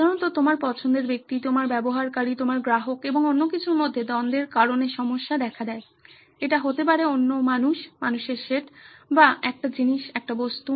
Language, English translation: Bengali, Usually the problem arises because of the conflict between your person of interest, your user, your customer and something else, it could be another human being, set of human beings or a thing, an object